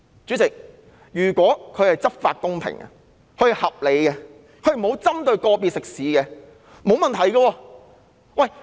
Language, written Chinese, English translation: Cantonese, 主席，如果警察執法公平、合理及沒有針對個別食肆，這是沒有問題的。, President the social gathering restriction is supposed to be fine if police officers have enforced the law impartially and reasonably without targeting at some restaurants